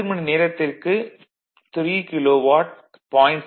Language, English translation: Tamil, So, 10 hour, 3 kilowatt